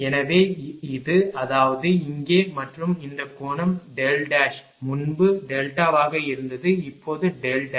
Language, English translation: Tamil, So, this is; that means, ah here and this angle is delta dash earlier it was delta now it is delta dash